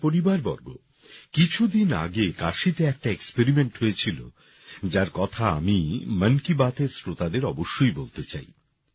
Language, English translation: Bengali, My family members, a few days ago an experiment took place in Kashi, which I want to share with the listeners of 'Mann Ki Baat'